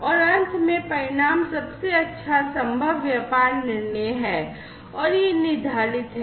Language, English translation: Hindi, And finally, the outcome is the best possible business decision and this is prescriptive